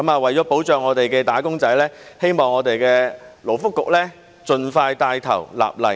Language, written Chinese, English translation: Cantonese, 為了保障本港的"打工仔"，希望勞工及福利局盡快帶頭立例。, For the purpose of protecting wage earners in Hong Kong I hope the Labour and Welfare Bureau will take the lead as soon as possible to enact legislation